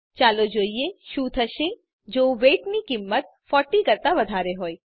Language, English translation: Gujarati, Let us see what happens if the value of weight is greater than 40